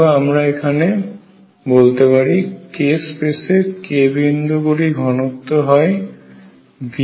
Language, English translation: Bengali, Or we can say the density of k points in k space is v over 8 pi cubed